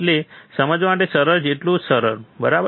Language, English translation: Gujarati, So, simple so easy to understand, right